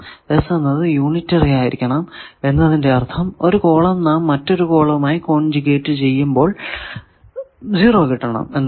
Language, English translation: Malayalam, So, S unitary means we can have the one column conjugate with another column that will be 0